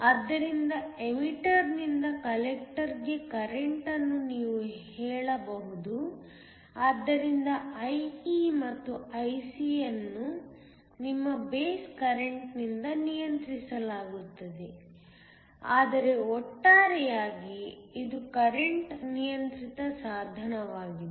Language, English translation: Kannada, So, You can say that the current from the emitter to the collector, so IE and IC are controlled by your base current, but overall it is a current controlled device